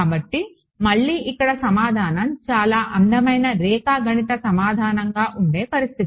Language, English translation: Telugu, So, again here is the situation where the answer is a very beautiful geometric answer